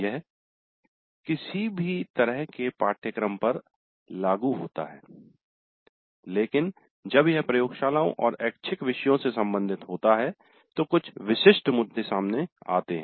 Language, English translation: Hindi, It is applicable to any kind of a course, but when it is concerned with the laboratories and electives certain specific issues crop up